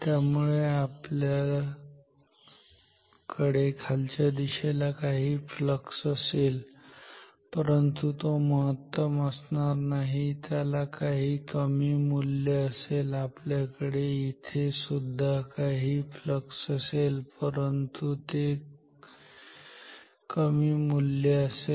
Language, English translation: Marathi, So, we will have some positive so flux downwards, but it will not be maximum it will have some lower amount smaller amount some small value, here also we will have some flux, but the value will be smaller